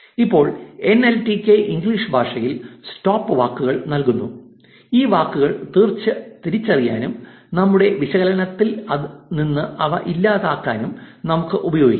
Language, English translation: Malayalam, Now, NLTK provides stop words for the English language which we can use to identify these words and eliminate them from our analysis